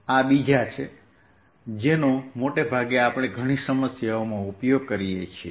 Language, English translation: Gujarati, these are the other ones that we use most often in in a many problems